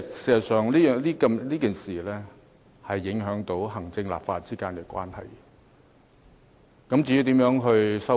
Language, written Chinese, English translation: Cantonese, 事實上，這件事已影響行政機關與立法會之間的關係。, As a matter of fact this incident has already impacted the relationship between the executive and the legislature